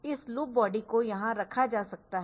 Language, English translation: Hindi, So, this loop body can be put here